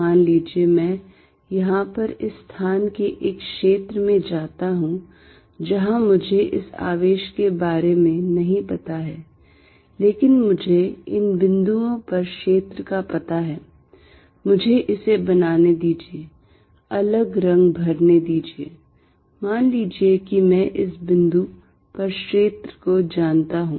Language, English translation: Hindi, Suppose, I go to a region of space here, where I do not know about this charge, but I know field at these points, let me make it fill different color, suppose I know field at this point